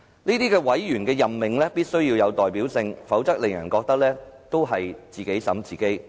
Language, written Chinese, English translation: Cantonese, 這些委員的任命必須要有代表性，否則會令人覺得是"自己審自己"。, The membership must be adequately representative otherwise it will give people an impression that investigations are conducted by its own people